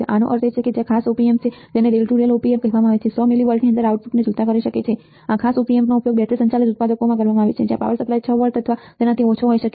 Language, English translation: Gujarati, That means, that there are special Op Amps called a rail to rail Op Amps that can swing the output within 100 milli volts, these special Op Amps are offered used in a battery operated products where the power supply may be 6 volts or less got it that is what your output voltage swing